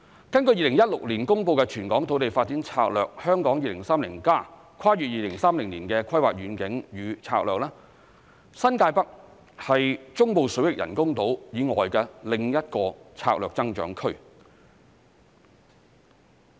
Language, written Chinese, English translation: Cantonese, 根據2016年公布的全港土地發展策略《香港 2030+： 跨越2030年的規劃遠景與策略》，新界北部是中部水域人工島以外的另一個策略增長區。, According to the territorial development strategy of Hong Kong 2030 Towards a Planning Vision and Strategy Transcending 2030 released in 2016 the northern New Territories is another strategic growth area apart from the artificial islands in the Central Waters